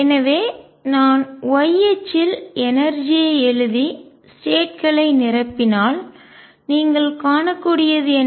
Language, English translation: Tamil, So, what you can see is that if I write the energy on the y axis and fill the states